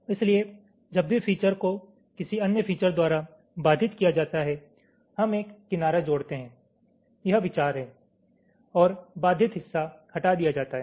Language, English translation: Hindi, so whenever the features is obstructed by another features, we add an edge this is the idea and the obstructed part is removed